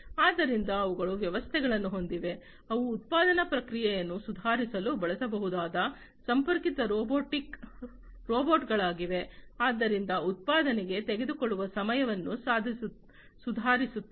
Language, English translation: Kannada, So, they have systems, which are connected robots that can be used for improving the manufacturing process, so improving the time that it takes for manufacturing